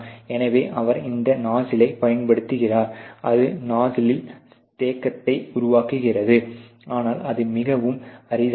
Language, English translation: Tamil, So, he uses this nuzzle and that creates damage on the nuzzle, but that is very rare ok